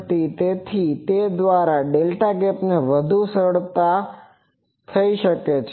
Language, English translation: Gujarati, So, by that the delta gap can be more easily